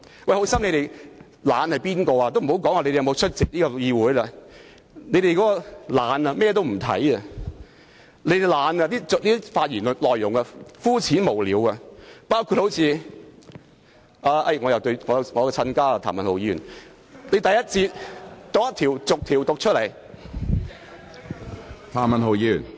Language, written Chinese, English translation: Cantonese, 我且不說他們有否出席議會，他們懶得甚麼文件也不看，發言內容膚淺無聊，包括我的"親家"——譚文豪議員——他在第一節發言時竟逐一讀出每項修訂建議......, Let us not talk about their attendance at Council meetings but they are so lazy that they do not bother to read any document and merely rise to give hollow speeches . Among them is my in - law―Mr Jeremy TAM―who read out each amendment proposal during his speech in the first session